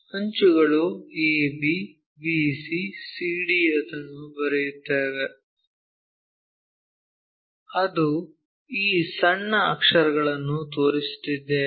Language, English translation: Kannada, The edges are ab, bc, cd we will write it, that is a reason we are showing these lower case letters